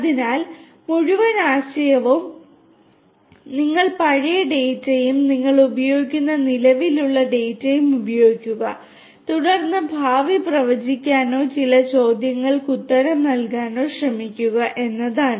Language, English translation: Malayalam, So, the whole idea is that you use the past data, existing data you use and then you try to make predictions or answer certain questions for the future, right